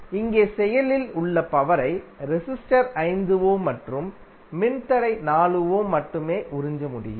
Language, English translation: Tamil, Here the active power can only be absorbed by the resistor 5 ohm and the resistor 4 ohm